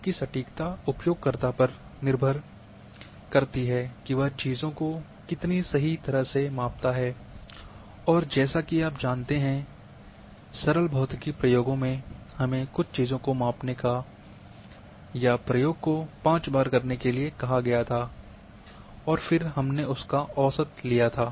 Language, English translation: Hindi, Whereas, accuracy depends on the user how precisely he measures the things and as you know in simple physics experiments we were asked to measure certain things or do the experiment 5 times and then take the average of that one